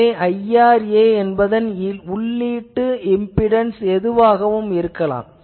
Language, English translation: Tamil, So, you can make IRA with any input impedance